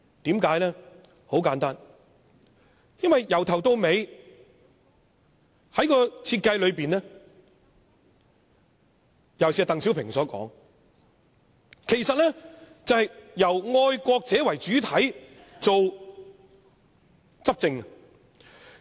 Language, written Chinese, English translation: Cantonese, 很簡單，"一國兩制"由始至終的設計，尤其是鄧小平所說，就是由愛國者為主體執政。, From the beginning to end the design of one country two systems is to have patriots as the pillar of the ruling party according to the words of DENG Xiaoping